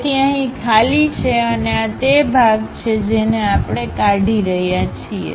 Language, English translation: Gujarati, So, we have empty here and this is the part which we are removing